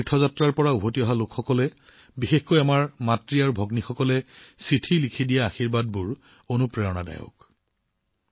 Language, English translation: Assamese, The blessing given by the people who have returned from Haj pilgrimage, especially our mothers and sisters through their letters, is very inspiring in itself